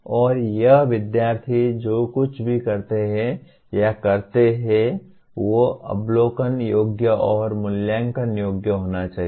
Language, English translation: Hindi, And when the students do or perform whatever they do should be observable and assessable